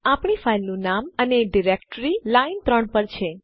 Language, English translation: Gujarati, Our file name and directory on line 3